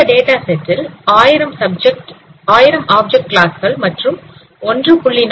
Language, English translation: Tamil, So in this data set you have thousand object classes and there are about 1